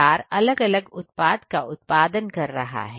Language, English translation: Hindi, is a producing four different kinds of products